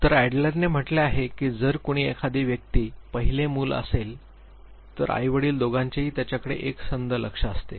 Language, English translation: Marathi, So, Adler said that if somebody is the First Born child he or she gets the undivided attention of both the parents